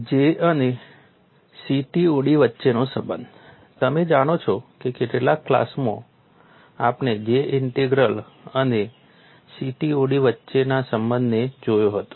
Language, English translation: Gujarati, You know in the last class we had looked at a relationship between J integral and CTOD